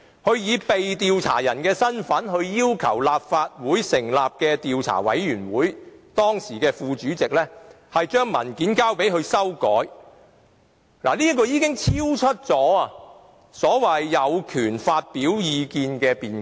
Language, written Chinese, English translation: Cantonese, 他以被調查者的身份，要求由立法會成立的專責委員會的時任副主席把文件交給他修改，這的做法已超出所謂有權發表意見的辯解。, The fact that he as the subject of inquiry requested the then Deputy Chairman of the Select Committee set up under the Legislative Council to pass the document to him for amendment has already gone beyond the argument over the right of expressing views